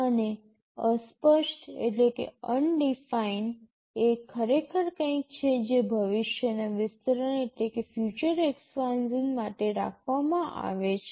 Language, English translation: Gujarati, And undefined is actually something which is kept for future expansion